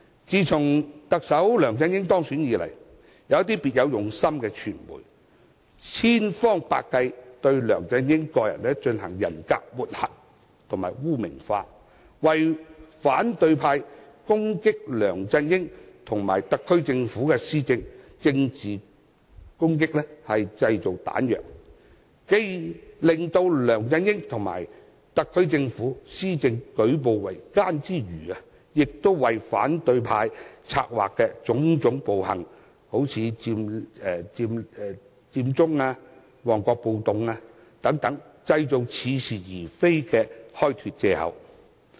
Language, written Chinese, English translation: Cantonese, 自從特首梁振英當選以來，一些別有用心的傳媒千方百計對他進行人格抹黑及污名化，製造彈藥讓反對派對梁振英及特區政府施政進行政治攻擊，既令梁振英及特區政府施政舉步維艱，亦為反對派策劃的種種暴行，例如佔中和旺角暴動，製造似是而非的開脫藉口。, Since the election of LEUNG Chun - ying as Chief Executive some members of the media industry with an ulterior motive have been trying every means to smear his character and create materials for the opposition camp to launch political attacks against LEUNG Chun - ying and the SAR Government . This has made the work progress of LEUNG Chun - ying and the SAR Government very difficult and also created the excuse for the opposition camp to exculpate themselves from being the schemer of savage acts such as the Occupy Central movement and the Mong Kok riot